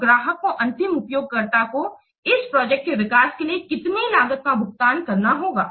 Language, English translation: Hindi, So, how much cost the end user, the client will pay for developing this project